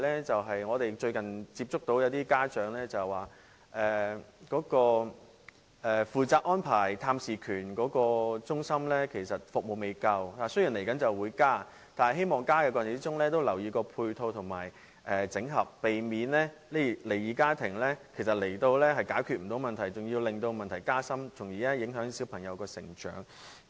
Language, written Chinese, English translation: Cantonese, 最後，我想說的是，最近一些家長向我們表示，負責安排探視權的中心服務不足，雖然將會加強服務，但希望當局在過程中能留意配套和整合，避免離異家庭來到的時候解決不到問題，反而令問題加深，因而影響小朋友的成長。, Finally some parents have recently told us about the insufficient services of the centres responsible for access arrangements . Although the services will be enhanced in the future I hope that in the process the authorities can pay attention to the supporting services and service integration in order to avoid aggravating the problem instead of resolving the problem of the split family concerned thus affecting the development of the children